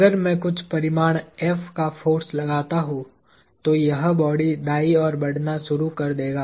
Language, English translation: Hindi, If I exert the force of some magnitude F, this block is going to begin moving to the right